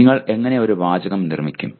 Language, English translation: Malayalam, How do you make a sentence